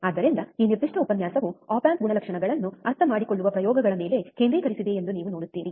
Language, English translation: Kannada, So, as you see that this particular lecture is focused on experiments on understanding op amp characteristics